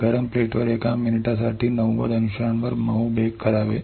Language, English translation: Marathi, soft bake at ninety degrees for one minute on hot plate